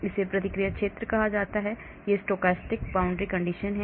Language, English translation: Hindi, That is called the reaction zone, it is a stochastic boundary condition